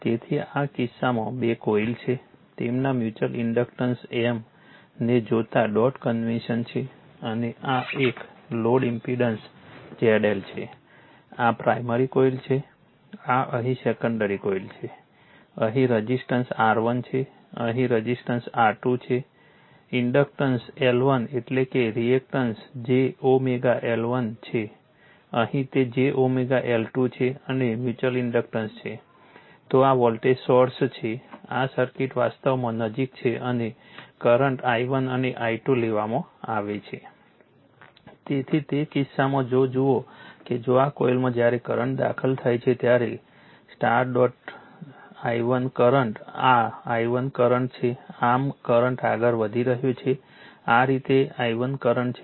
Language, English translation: Gujarati, So, in this case your in this case two coils are there dot conventions given their mutual inductance is M and this is one load impedance is that Z L this is the primary coil this is a secondary coil here, resistance is R 1 here resistance is R 2 here inductance L 1 means reactance is j omega L 1 here it is j omega L 2 and mutual inductance is then this is the voltage source this circuit is close actually right and current is taken i 1 and i 2